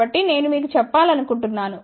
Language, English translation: Telugu, So, I just want to tell you